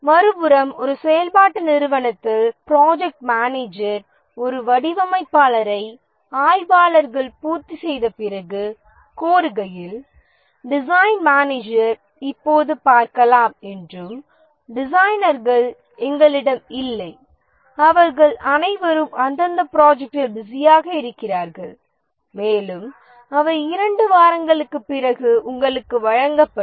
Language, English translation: Tamil, On the other hand in a functional organization, when the project manager requests for a designer after the analysis have completed the design manager might say that see right now we don't have designers they're all busy in respective projects and they will be given to you after two weeks so that problem does not occur in the project organization